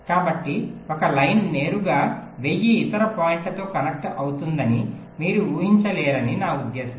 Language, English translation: Telugu, so i mean you cannot expect a single line to be connected directly to thousand other points